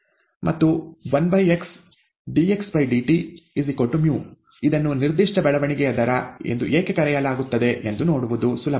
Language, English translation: Kannada, And one by x dxdt equals mu, it is easy to see why it is called the specific growth rate